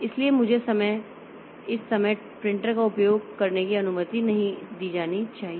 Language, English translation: Hindi, So, I should not be allowed to access the printer at this point of time